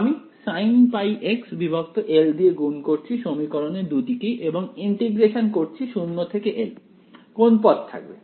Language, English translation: Bengali, I am multiplying by sin m pi x by l on both sides of this equation and integrating 0 to l, which term survives